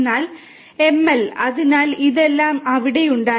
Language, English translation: Malayalam, But ML, you know so all these things have been there